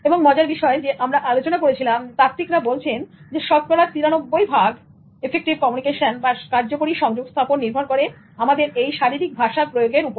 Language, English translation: Bengali, And interestingly, we discuss about theorists who say that 93% of communication effectiveness is determined by body language